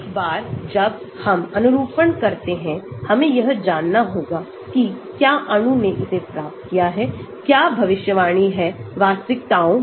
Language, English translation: Hindi, Once we do the conformation, we need to know whether molecule has attained its, what is predicted in realities